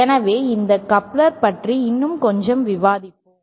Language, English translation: Tamil, So, let us discuss a little bit more about couplers